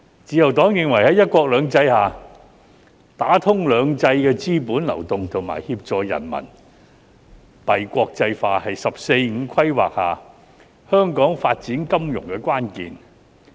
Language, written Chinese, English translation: Cantonese, 自由黨認為在"一國兩制"下，打通兩制的資本流動和協助人民幣國際化是在"十四五"規劃下香港發展金融的關鍵。, The Liberal Party holds that under one country two systems the key to Hong Kongs financial development under the 14th Five - Year Plan is to facilitate the flow of capital between the two systems and assist in the internationalization of RMB